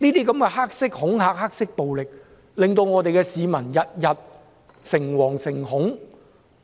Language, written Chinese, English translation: Cantonese, 這些黑色恐嚇和黑色暴力，令市民每天誠惶誠恐。, Black intimidation and black violence caused the public to become frightened and worried all the time